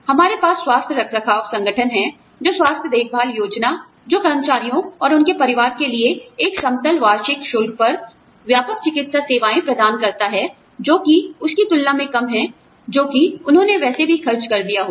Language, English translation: Hindi, We have health maintenance organization, which is the health care plan, that provides comprehensive medical services, for employees and their families, at a flat annual fee, which is lower than, what they would have, anyway spent